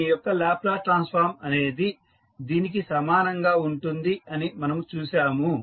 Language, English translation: Telugu, Now, the Laplace transform of this we saw equal to this